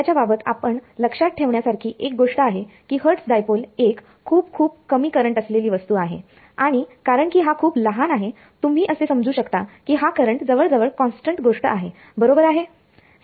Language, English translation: Marathi, The only sort of a thing to remember about this hertz dipole it was a very very small current element and because it is very small, you can assume current is approximately constant thing right